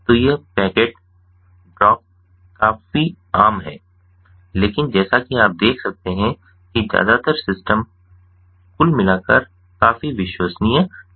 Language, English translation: Hindi, so these packet drops are quite common, but as you can see that mostly the system overall is quite reliable